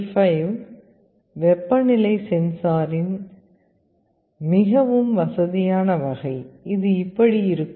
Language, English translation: Tamil, This LM35 is a very convenient kind of a temperature sensor; it looks like this